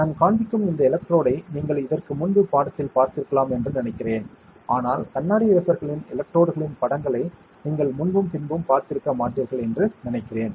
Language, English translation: Tamil, And this electrode which I am showing I think you might have seen previously in the course, but I think you might not have seen before and after pictures of the electrodes on the glass wafer